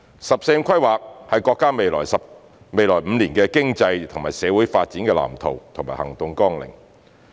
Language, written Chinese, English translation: Cantonese, "十四五"規劃是國家未來5年經濟和社會發展的藍圖和行動綱領。, The 14th Five - Year Plan is the blueprint and action plan for the countrys social and economic development in the next five years